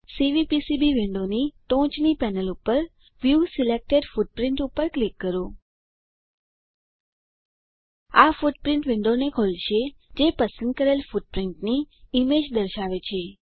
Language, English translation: Gujarati, On the top panel of Cvpcb window click on View selected footprint This will open footprint window which displays the image of footprint selected